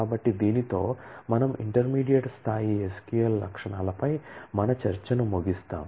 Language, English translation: Telugu, So, with this we close our discussion on the intermediate level SQL features